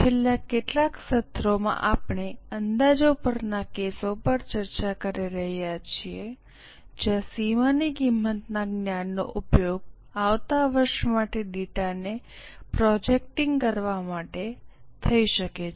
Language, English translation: Gujarati, Namaste In last few sessions we are discussing cases on projections where the knowledge of marginal costing can be used for projecting the data for the next year